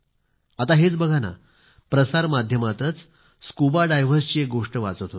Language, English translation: Marathi, Just the other day, I was reading a story in the media on scuba divers